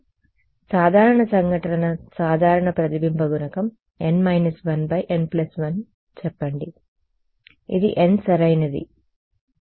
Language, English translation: Telugu, So, let us say normal incidence simple case reflection coefficient is n minus 1 by n plus 1 this is n right